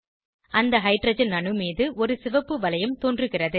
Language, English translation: Tamil, A red ring appears on that Hydrogen atom